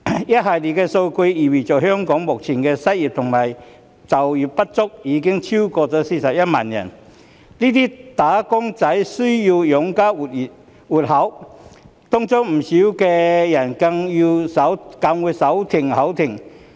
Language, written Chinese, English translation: Cantonese, 一系列數據意味着香港目前的失業及就業不足人士已超過41萬人，這些"打工仔"需要養家活口，當中不少人更會"手停口停"。, The series of figures mean that currently there are more than 410 000 unemployed and underemployed people in Hong Kong . These wage earners need to support their families and many of them live from hand to mouth